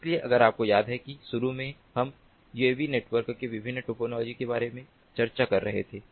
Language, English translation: Hindi, so if you recall that initially we were discussing about the different topologies of uav networks, so we will start with the star topology